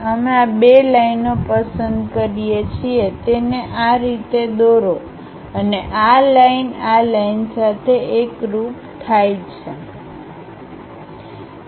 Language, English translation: Gujarati, We pick this these two lines, draw it in this way and this line coincides with this line